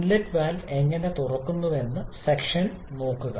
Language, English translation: Malayalam, In suction look how the inlet valve is opening